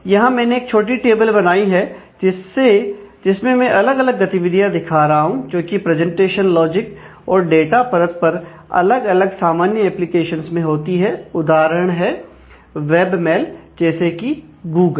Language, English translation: Hindi, So, here I have created a small table, showing you the different activity is that happens at the presentation logic and data layer of different common applications like, web mail like, Google